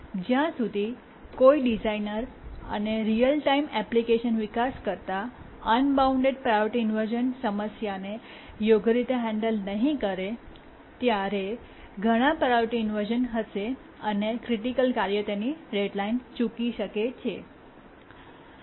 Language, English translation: Gujarati, Let me repeat again that unless a designer and application, real time application developer handles the unbounded priority inversion problem properly, then there will be too many priority inversions and a critical task can miss its deadline